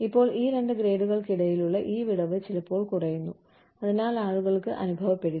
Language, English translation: Malayalam, Now, this gap, between, these two grades, is sometimes reduced, so that people, do not feel